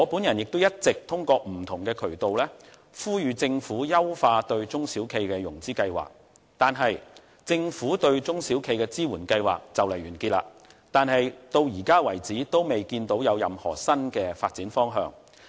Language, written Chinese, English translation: Cantonese, 我也一直透過不同的渠道，呼籲政府優化對中小企的融資計劃，而政府對中小企的支援計劃快將完結，然而，至目前為止，也未見有任何新的發展方向。, I have all along been urging the Government through various channels to improve the financing plans for SMEs . In the meantime some programmes set up by the Government to support SMEs will soon come to an end but even now we cannot see any new development direction